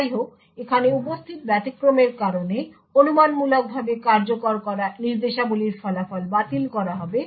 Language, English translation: Bengali, However, due to the exception that is present over here the results of the speculatively executed instructions would be discarded